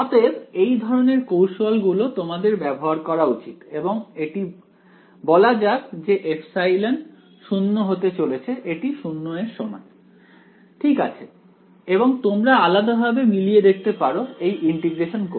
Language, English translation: Bengali, So, these kinds of tricks you should use and just say that as epsilon tends to 0 this is equal to 0 ok and you can manually verify by doing this integration right